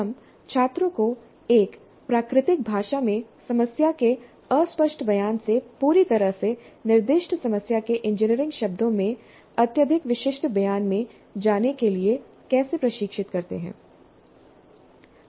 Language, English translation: Hindi, So how do we train the students in moving from the Fudgee statement of the problem in a natural language to highly specific statement in engineering terms of a completely specified problem